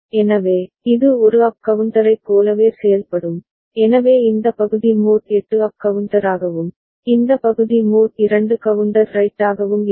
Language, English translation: Tamil, So, it will be behaving like a up counter all right, so this part is mod 8 up counter, and this part is mod 2 counter right